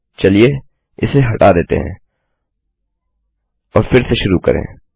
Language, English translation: Hindi, Lets get rid of this and start again